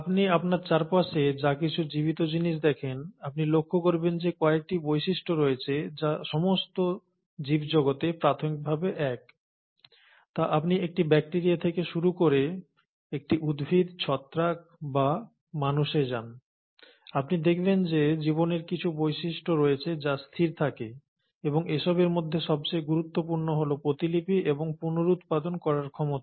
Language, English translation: Bengali, Well, anything that you see around yourself which is living, you will notice that there are certain features which are fundamentally common across living world, whether you start from a bacteria, you go to a plant, you go to a fungal organism or you go all the way to human beings, you find that there are certain features of life which remain constant, and the most important of them all is the ability to replicate and reproduce